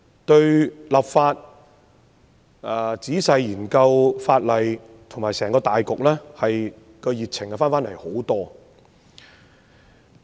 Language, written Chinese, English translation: Cantonese, 對於立法、仔細研究法例，以及整個大局，我也重拾熱情。, My passion in the enactment and detailed study of legislation as well as the overall situation has been revived